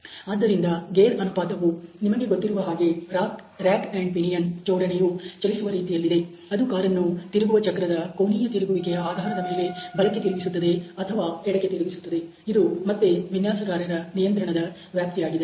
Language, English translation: Kannada, So, the gear ratio which is about the way that you know the rack pinion assembly would move which would enable the car to steer right or steer left based on the angular rotation of the steering wheel, this is again a designer’s control domain